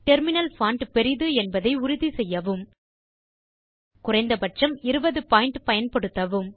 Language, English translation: Tamil, Ensure that the terminal font is large.Use a minimum of 20 point